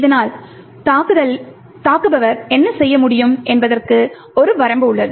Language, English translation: Tamil, Thus, there is a limitation to what the attacker can do